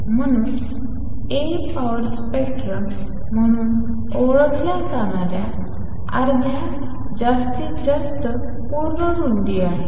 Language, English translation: Marathi, So, A is also full width at half maximum of what you known as power spectrum